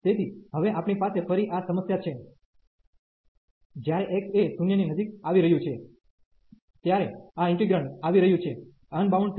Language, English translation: Gujarati, So, now we have this problem again, when x is approaching to infinity, this integrand is approaching to is getting unbounded